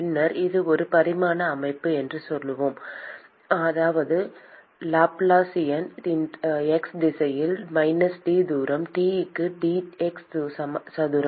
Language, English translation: Tamil, And then we said it is one dimensional system, which means that the Laplacian is simply in the x direction d square T by d x square